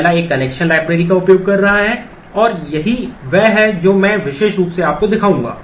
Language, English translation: Hindi, The first one is using a connection library and this is what I will specifically show you